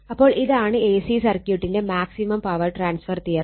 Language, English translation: Malayalam, So, this is the maximum power transfer theorem for A C circuit